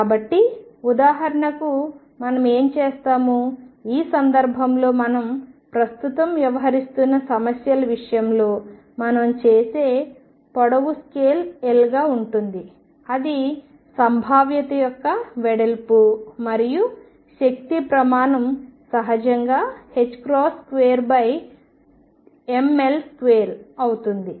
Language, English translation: Telugu, So, what we do for example, in this case in the case of the problems that we are dealing with right now is that length scale we will take to be L that is the width of the potential and the energy scale naturally becomes h cross square over ml square